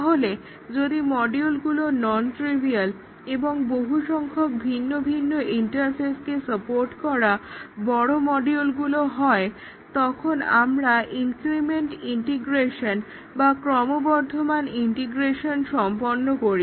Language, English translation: Bengali, So, if the modules are non trivial, reasonably large modules supporting many different interfaces, then we do a incremental integration where at a time we integrate only one module